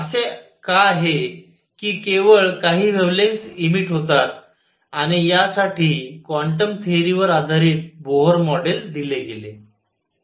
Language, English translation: Marathi, Why is it that only certain wavelengths are emitted and for this Bohr model was given based on the quantum theory